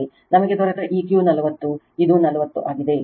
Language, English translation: Kannada, This Q we got is 40 right this 40